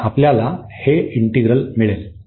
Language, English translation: Marathi, So, we have three integrals now